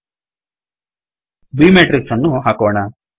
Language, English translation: Kannada, Lets put b matrix